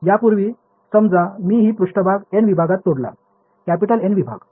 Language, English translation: Marathi, Earlier supposing I broke up this surface into N segments, capital N segments